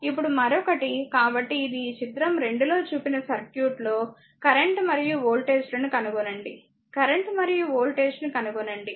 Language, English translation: Telugu, Now another one so, this is find the current and voltages in the circuit shown in figure 2 here, we have find the current and voltage